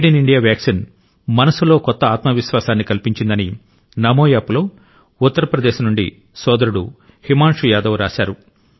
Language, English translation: Telugu, On NamoApp, Bhai Himanshu Yadav from UP has written that the Made in India vaccine has generated a new self confidence within